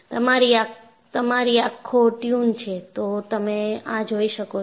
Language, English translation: Gujarati, If your eye is tuned, you will be able to see this